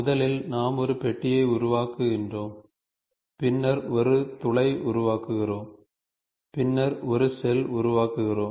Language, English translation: Tamil, First we create a box, then we create a hole and then we create a shell